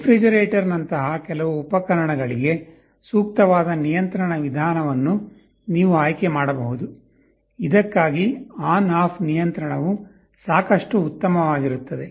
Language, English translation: Kannada, You may choose to select the appropriate mode of control for some appliances like the refrigerator, for which on off control is good enough